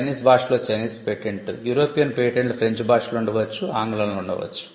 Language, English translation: Telugu, So, for the Chinese patent in the Chinese language, European patents could be in French, it could be in English